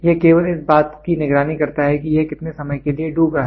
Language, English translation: Hindi, It only monitors how much it is getting sunk over a period of time